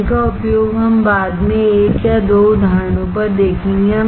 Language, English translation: Hindi, Using these we will see later on one or two examples